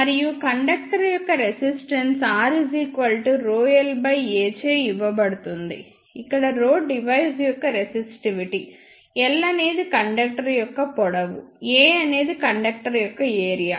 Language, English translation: Telugu, And the resistance of a conductor is given by R is equal to rho l by A, where rho is the resistivity of the material, l is the length of the conductor, A is the area of the conductor